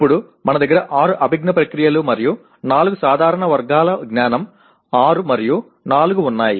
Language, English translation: Telugu, Now what we have is there are six cognitive processes and four general categories of knowledge, six and four